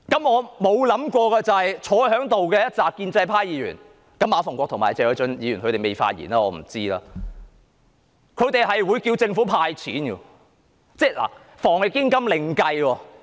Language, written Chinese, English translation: Cantonese, 我沒想過在席的建制派議員——當然馬逢國議員和謝偉俊議員還未發言，我不知道他們的取態——竟然要求政府"派錢"。, It has never occurred to me that the pro - establishment Members in the Chamber now―of course Mr MA Fung - kwok and Mr Paul TSE have not spoken yet and I do not know their positions―would call on the Government to hand out cash